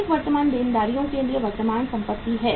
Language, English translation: Hindi, Excess of current assets to current liabilities